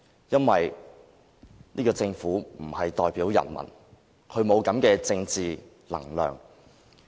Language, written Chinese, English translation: Cantonese, 因為這個政府不能代表人民，它沒有這種政治能量。, This is all because the government in that case cannot represent the people and hence does not have the political stamina required